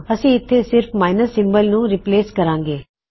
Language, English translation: Punjabi, We will just replace the minus symbol there